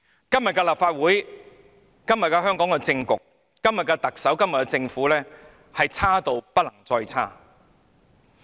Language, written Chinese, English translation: Cantonese, 今天的立法會、香港的政局、特首和政府已經差得不能再差。, The Legislative Council nowadays the political situation in Hong Kong the Chief Executive and the Government could not get any worse